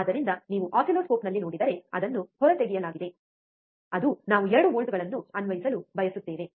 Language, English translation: Kannada, So, if you see in the oscilloscope, it is stripped, that is the reason that we want to apply 2 volts